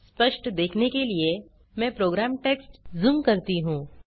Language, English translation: Hindi, Let me zoom the program text to have a clear view